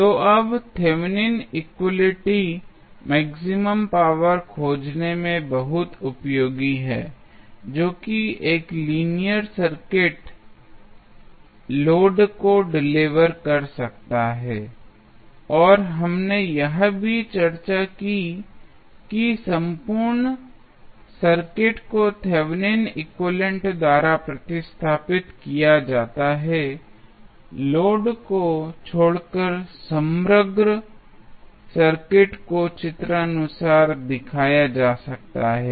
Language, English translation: Hindi, So, now, Thevenin equality is very useful in finding the maximum power a linear circuit can deliver to the load and we also discuss that entire circuit is replaced by Thevenin equivalent except for the load the overall circuit can be shown as given in the figure